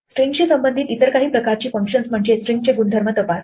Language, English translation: Marathi, Some of the other types of functions which we find associated to strings are to check properties of strings